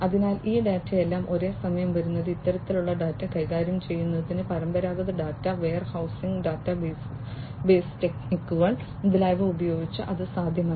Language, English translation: Malayalam, So, all these data coming at the same time, handling this kind of data, using conventional data warehousing, database techniques, etcetera, it is not possible